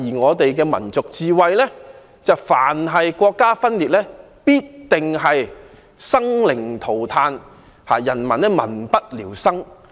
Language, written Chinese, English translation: Cantonese, 我們的民族智慧是，凡是國家分裂，必定生靈塗炭，民不聊生。, Our national wisdom is that secession certainly means the loss of peoples lives and widespread destitution